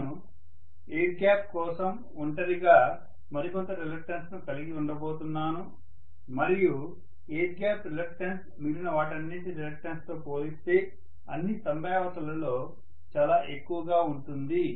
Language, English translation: Telugu, But there is some more reluctance that I am going to have for the air gap alone and the air gap reluctance will be in all probability much higher as compared to what I have as the reluctance for rest of the stuff, right